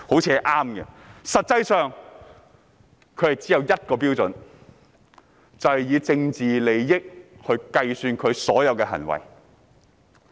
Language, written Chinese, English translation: Cantonese, 實際上，他們只有一項準則，就是根據政治利益盤算所有行為。, As a matter of fact the only guiding principle for them is to make every move based on political calculation